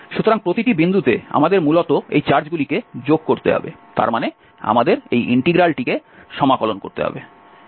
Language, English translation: Bengali, So, at each point we have to basically add up this charge, that means this integral, we have to integrate this